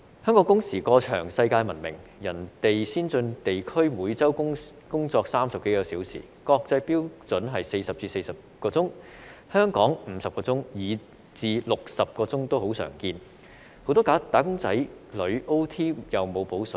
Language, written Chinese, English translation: Cantonese, 香港工時過長世界聞名，其他先進地區每周工作30多小時，國際標準是40小時至44小時，香港是50小時，以至60小時也很常見，很多"打工仔女 "OT 也沒有"補水"。, The weekly working hours in other developed regions are 30 - odd hours . The international standard is between 40 hours and 44 hours a week . In Hong Kong the weekly working hours are 50 hours or even 60 hours which is very common